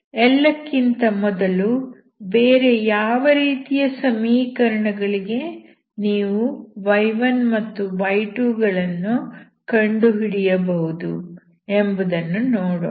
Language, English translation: Kannada, But first of all let us see for what other equations you can find y1 and y2, okay